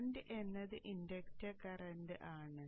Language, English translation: Malayalam, Now let us look at the inductor current